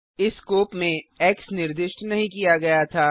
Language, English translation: Hindi, x was not declared in this scope